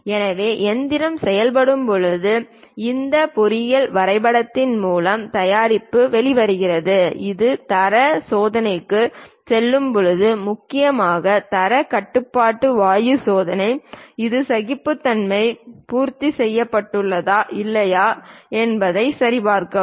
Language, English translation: Tamil, So, when machining is done and perhaps product comes out through this engineering drawing sheet, when it goes to quality check mainly quality control gas check whether this tolerances are met or not for that object